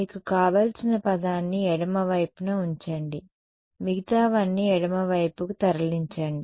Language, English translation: Telugu, keep the term that you want on the left hand side move everything else to the left hand side ok